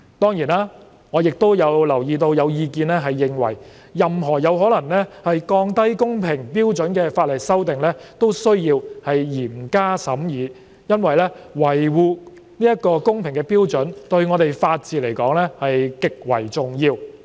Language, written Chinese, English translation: Cantonese, 當然，我亦留意到有意見認為任何有可能降低公平標準的法例修訂都需要嚴加審議，因為維護公平的標準對法治而言極為重要。, Of course I am also aware of the view that any legislative amendments which have the potential to lower the standard of fairness have to be closely scrutinized since upholding the standard of fairness is highly important to the rule of law